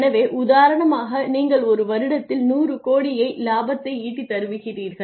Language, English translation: Tamil, So, for example, you make say 100 crores in a year in terms of profit